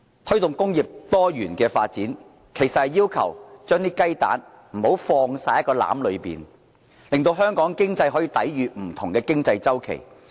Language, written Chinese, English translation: Cantonese, 推動工業多元發展，其實是要求不要把雞蛋全放進同一個籃子裏，讓香港的經濟可以抵禦不同的經濟周期。, Promoting diversified industrial development means not to put all your eggs in one basket so that Hong Kongs economy can withstand downturns in different cycles of different industries